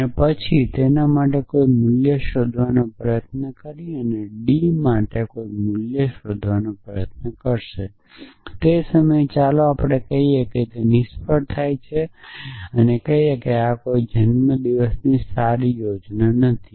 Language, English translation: Gujarati, And then try to find a value for that let say a and then dinner and try to find a value for that d and at that point let us say it fails and say that no this is naught a good birthday plan